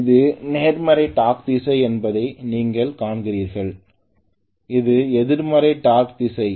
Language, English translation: Tamil, You see that this is positive torque direction, this is negative torque direction